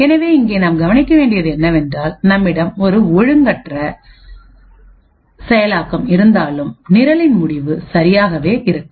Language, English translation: Tamil, So, what we observe here is that even though the we have an out of order execution the result of the program will be exactly the same